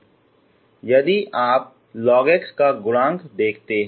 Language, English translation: Hindi, You can observe the coefficient of log x